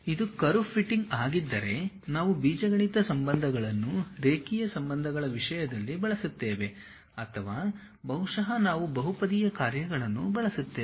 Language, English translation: Kannada, If it is a curve fitting either we will use the algebraic relations in terms of linear relations or perhaps we will be using polynomial functions